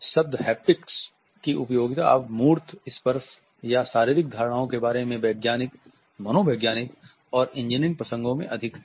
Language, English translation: Hindi, And utility of the term haptics now lies more in scientific psychological and engineering concerns about embodied tactile or somatic perceptions